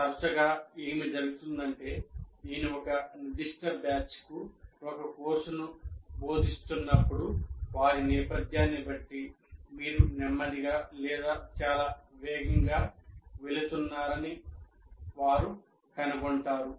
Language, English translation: Telugu, Often what happens is when I am teaching a, the particular batch may find that you are either going too slow or too fast depending on their background